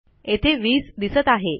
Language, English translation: Marathi, Okay, so that will be 20